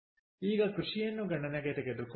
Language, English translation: Kannada, ok, so lets take into account agriculture